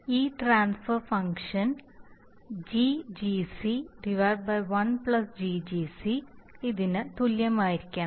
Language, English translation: Malayalam, This transfer function GGc by one plus GGc, must equate this transfer function